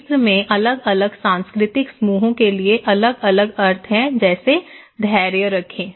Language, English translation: Hindi, The different meanings to different cultural groups, in Egypt have patience, be patient okay